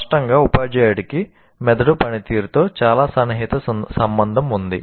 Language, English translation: Telugu, So obviously, teacher has very, very close relationship with the functioning of the brain